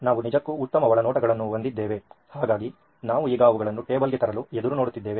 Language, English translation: Kannada, We’ve actually come out with great insights in fact, so we are looking forward to bring them on to the table now